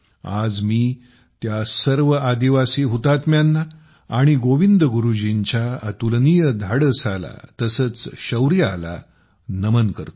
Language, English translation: Marathi, Today I bow to all those tribal martyrs and the indomitable courage and valor of Govind Guru ji